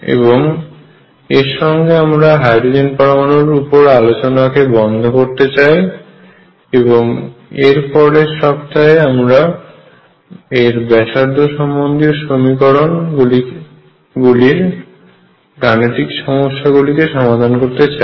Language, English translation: Bengali, With this we stop the discussion on hydrogen atom, and next week we will begin with numerical solution of this radial equation